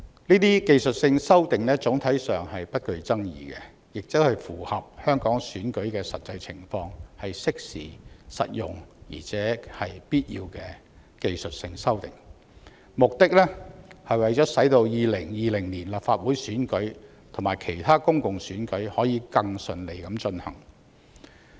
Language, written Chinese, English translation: Cantonese, 該等技術性修訂總體上不具爭議，且符合香港選舉的實際情況，是適時、實用且必要的技術性修訂，目的是為了使2020年立法會選舉及其他公共選舉可以更順利地進行。, Such technical amendments which are not controversial in general and tally with the actual circumstances surrounding Hong Kong elections are timely practical and necessary technical amendments for the smoother conduct of the 2020 Legislative Council Election and other public elections